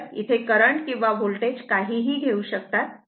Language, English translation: Marathi, So, whereas current or voltage whatever it is take